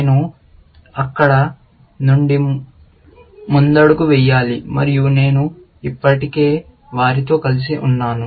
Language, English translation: Telugu, I have to just take a lead from there, and I have already joined them together